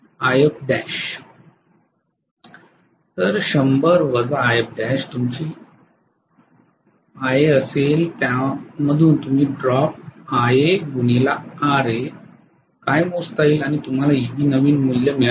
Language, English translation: Marathi, So 100 minus IF dash will be your IA from that you will calculate what is the drop IA, RA drop and you have got the new value of Eb